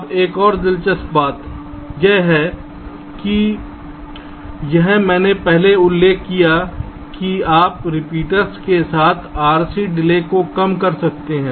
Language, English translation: Hindi, now another interesting thing is that this i have mentioned earlier that you can reduce r c delays with repeaters